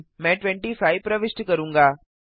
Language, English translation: Hindi, I will enter 25